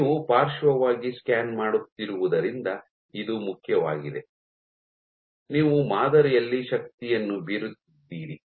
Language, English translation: Kannada, This is important because you are scanning laterally; you are exerting force on the sample